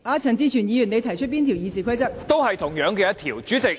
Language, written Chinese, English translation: Cantonese, 陳志全議員，你引用哪一條《議事規則》提出問題？, Mr CHAN Chi - chuen which rule of RoP are you invoking to raise a point?